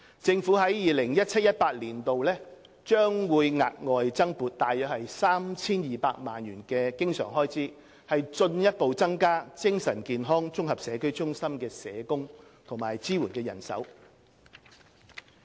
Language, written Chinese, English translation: Cantonese, 政府在 2017-2018 年度將額外增撥約 3,200 萬元經常開支，進一步增加精神健康綜合社區中心的社工及支援人手。, In 2017 - 2018 an additional recurrent funding of around 32 million will be allocated to further increase the number of social workers and supporting staff at ICCMWs